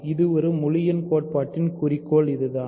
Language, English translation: Tamil, This is the goal of this whole theory